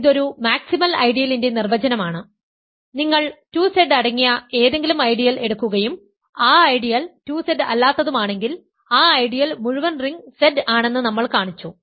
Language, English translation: Malayalam, Because that is the definition of a maximal ideal, if you take any ideal that contains 2Z and that ideal is not 2Z we showed that that ideal is the full ring Z